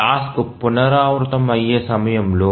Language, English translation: Telugu, So, the time at which the task recurs